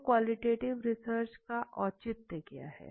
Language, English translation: Hindi, So what is the rational for using qualitative research